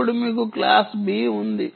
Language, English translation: Telugu, now you have class b